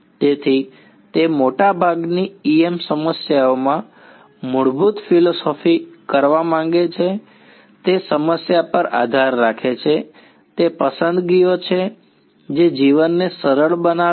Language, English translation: Gujarati, So, it depends on the problem we want to basic philosophy in most E M problems is make those choices which makes life easy